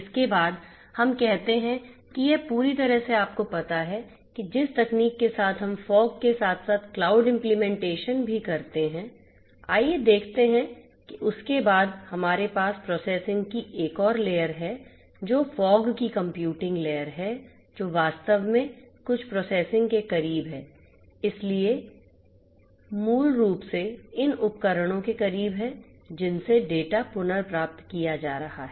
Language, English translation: Hindi, Thereafter let us say that it is completely you know up to date with technology we have fog as well as cloud implementations, let us see that thereafter we have another layer of you know processing which is the fog computing layer, which actually does some processing close to the; close to the edge, so basically you know close to these devices from which the data are being retrieved